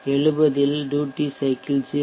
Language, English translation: Tamil, At 70 the duty cycle is 0